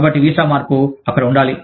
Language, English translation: Telugu, So, the visa change, has to be there